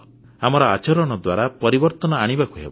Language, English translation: Odia, We shall have to bring about a change through our conduct